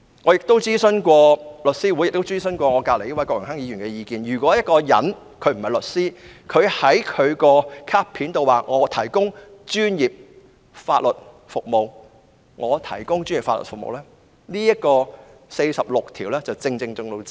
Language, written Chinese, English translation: Cantonese, "我曾徵詢香港律師會及身旁的郭榮鏗議員的意見，任何人不是律師而在其卡片上表明可以"提供專業法律服務"，已經觸犯《法律執業者條例》第46條。, I have consulted The Law Society of Hong Kong and Mr Dennis KWOK who is sitting next to me . Any person who is not a solicitor but states on his name card that he can provide professional legal services has violated section 46 of the Legal Practitioners Ordinance